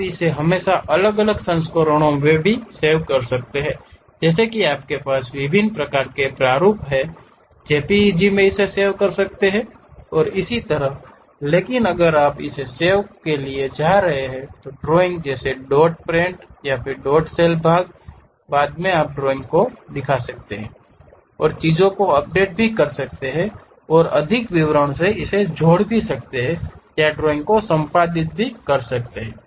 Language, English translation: Hindi, You can always save it at different versions also like you have different kind of formats JPEG you can save it and so on, but if you are going to save it like part drawing like dot prt or dot sld part, later you can really invoke the drawing and update the things, add further more details or edit the drawing also we can do